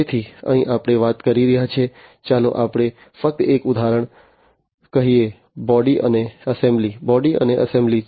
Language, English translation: Gujarati, So, here we are talking about, let us say just an example body and assembly, body and assembly